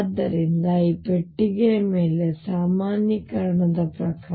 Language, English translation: Kannada, So, according to normalization over this box